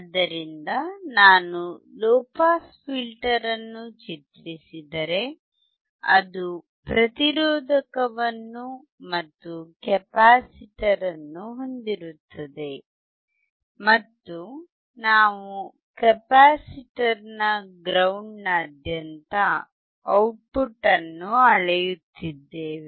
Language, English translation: Kannada, So, if I draw a low pass filter, it has a resistor, and there was a capacitor, and we were measuring the output across the capacitor ground